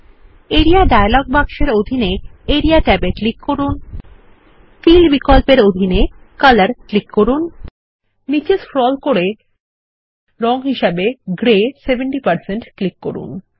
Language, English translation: Bengali, In the Area dialog box Click the Area tab under the Fill option, select Color and scroll down and click on the colour Gray 70%